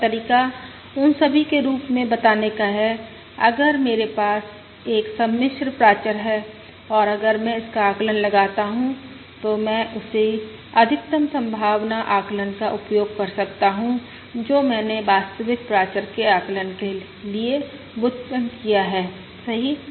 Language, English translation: Hindi, Another way of stating is: as all those, if I have a complex parameter H and if I estimate it, I can use the same maximum likelihood estimate that I have derived for the estimation of the real parameter, correct